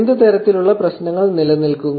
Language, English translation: Malayalam, What kind of problems exists